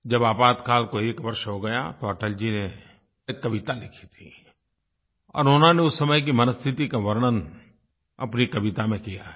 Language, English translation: Hindi, After one year of Emergency, Atal ji wrote a poem, in which he describes the state of mind during those turbulent times